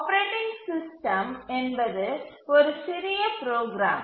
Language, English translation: Tamil, The operating system itself is only a small program